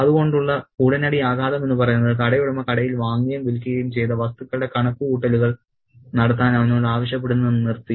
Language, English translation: Malayalam, And the immediate impact is that the shopkeeper, the shop owner stops asking him to do the calculations of the material that's bought and sold in the shop